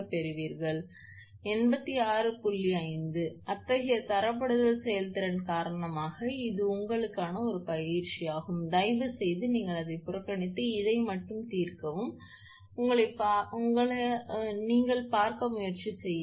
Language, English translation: Tamil, 5 such that because of this grading efficiency, this is an exercise for you, please you ignore that and only solve this one, and try to see yourself